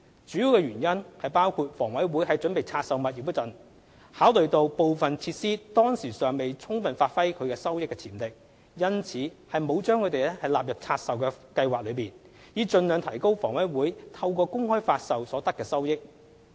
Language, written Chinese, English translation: Cantonese, 主要原因包括房委會在準備拆售物業時，考慮到部分設施當時尚未充分發揮其收益潛力，因此沒有把它們納入拆售計劃，以盡量提高房委會透過公開發售所得的收益。, One of the main reasons for making this decision was because in preparation for the divestment HA considered that the revenue potential of some of its facilities had yet been fully realized . In an effort to maximize its revenue from the public offering HA did not incorporate these retail and carparking facilities into its divestment plan